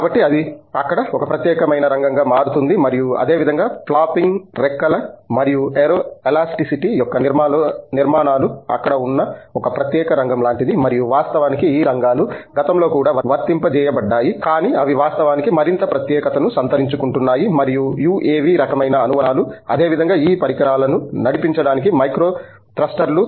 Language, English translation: Telugu, So, that gets to be a specialized area there and similarly, the structures of flopping wings and aero elasticity is like a specialized area that is coming out to be there and of course, these areas have been applied in the past as well, but they are actually getting more specialized in and focus for let say, UAV kind of application, similarly, micro thrusters for propelling these devices